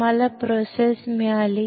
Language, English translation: Marathi, You got the process